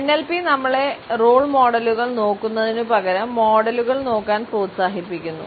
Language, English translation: Malayalam, NLP encourages us to look at models instead of looking at role models